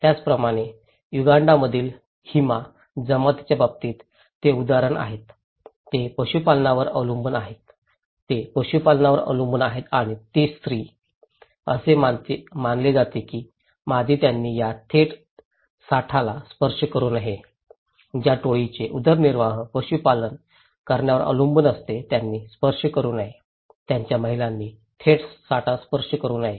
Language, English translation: Marathi, Similarly, the other examples like in case of Hima tribe in Uganda, they depend on animal husbandry, they depend on livestock okay and that the female; it is considered that female they should not touch these live stocks, the very tribe whose livelihood depends on animal husbandry on depending on livestock rearing, they should not touch, their women should not touch live stocks